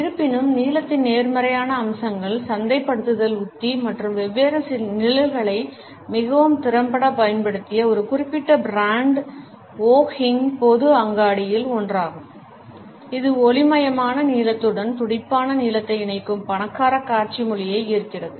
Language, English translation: Tamil, However the positive aspects of blue have been used as marketing strategy and a particular brand which has used different shades of blue very effectively is the one of Wo Hing general store which draws on the rich visual language that combines vibrant blue with light blue